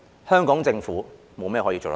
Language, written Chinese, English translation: Cantonese, 香港政府沒有甚麼可以做得到。, There is nothing the Hong Kong Government can do